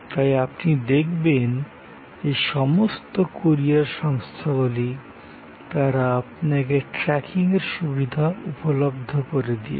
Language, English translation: Bengali, So, that is you know all courier companies they providing you tracking facility